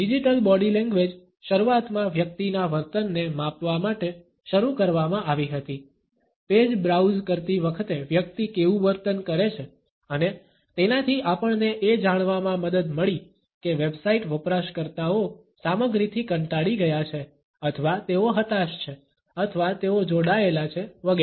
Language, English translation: Gujarati, The digital body language initially is started to track a person’s behaviour, how does a person behave while browsing the pages and it helped us to know whether the website users are bored with the content or they are frustrated or they are engaged etcetera